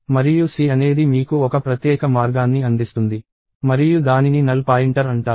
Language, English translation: Telugu, And C provides you a special way of doing that and that is called the null pointer